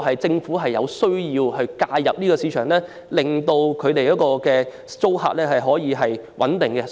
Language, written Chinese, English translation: Cantonese, 政府確實有需要介入市場，令租客可以有穩定的居所。, It is indeed necessary for the Government to intervene in the market to ensure stability in tenancy